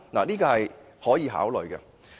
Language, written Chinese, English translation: Cantonese, 這是可以考慮的。, This is worthy of consideration